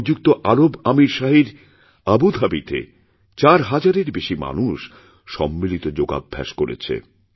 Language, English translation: Bengali, In Abu Dhabi in UAE, more than 4000 persons participated in mass yoga